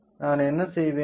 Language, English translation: Tamil, So, what I will do